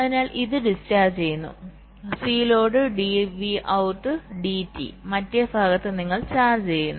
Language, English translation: Malayalam, so this is discharging, c load dv out, d t, and in the other part you are charging